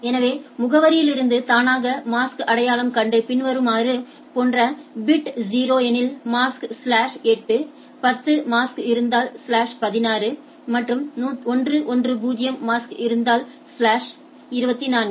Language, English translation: Tamil, So, identify the mask automatically from the address like if it is bit is 0 the mask slash 8, 10 mask is slash 16 and 110 the mask is slash 24 right